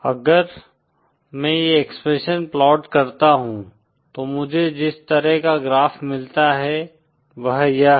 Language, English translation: Hindi, If I plot this expression, the kind of graph that I get is like this